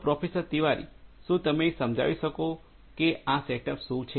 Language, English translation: Gujarati, So, Professor Tiwari, could you explain like what is this setup all about